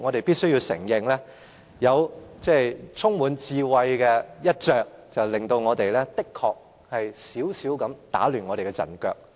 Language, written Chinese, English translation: Cantonese, 必須承認，前哨戰有這充滿智慧的一着，的確有少許打亂我們的陣腳。, I must admit that the skirmish is wisely conducted and has somehow caught us by surprise